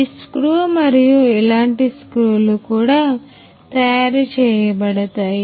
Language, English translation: Telugu, So, this screw similar kinds of screws will also be made